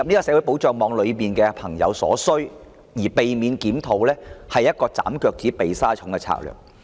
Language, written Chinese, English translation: Cantonese, 政府若因此而逃避檢討綜援，是"斬腳趾避沙蟲"的做法。, If for such a reason the Government avoids a CSSA review it is an approach of trimming the toes to fit the shoes